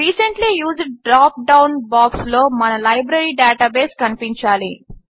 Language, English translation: Telugu, In the Recently Used drop down box, our Library database should be visible